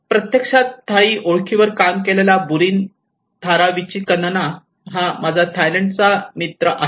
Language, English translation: Marathi, And this is a friend of mine Burin Tharavichitkun from Thailand, he actually worked on the Thai identity